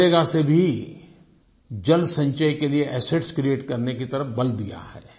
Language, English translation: Hindi, Under MNREGA also a stress has been given to create assets for water conservation